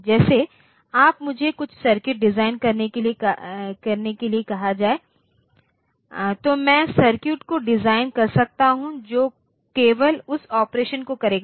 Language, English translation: Hindi, Like if I am asked to design some circuits I can design the circuit which will do that operation only